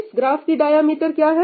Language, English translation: Hindi, What is the diameter of this graph